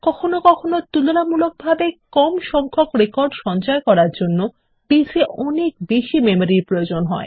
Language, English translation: Bengali, Sometimes, Base requires a huge memory to hold comparatively small number of records